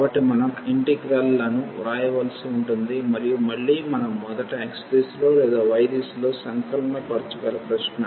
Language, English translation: Telugu, So, we have to write the integrals and again the question that we either we can integrate first in the direction of x or in the direction of y